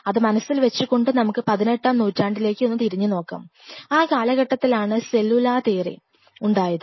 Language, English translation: Malayalam, So, keeping this mind, let us go little back to 18th century, when the cellular theory was which was given